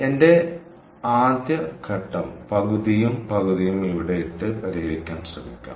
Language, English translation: Malayalam, so my first step is: let me try to put it half and half here and keep solving